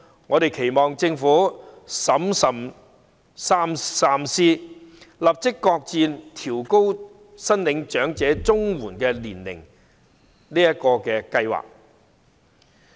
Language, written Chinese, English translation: Cantonese, 我們期望政府審慎三思，立即擱置調高長者綜援合資格年齡的計劃。, We hope the Government will prudently give it second thoughts and immediately shelve the plan of raising the eligible age for elderly CSSA